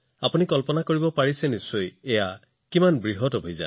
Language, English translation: Assamese, You can imagine how big the campaign is